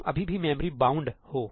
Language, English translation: Hindi, You are still memory bound